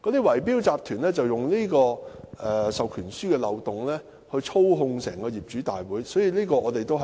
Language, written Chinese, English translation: Cantonese, 圍標集團就利用這個授權書的漏洞，操控業主大會。, Bid - rigging syndicates therefore exploit this loophole to manipulate owners meetings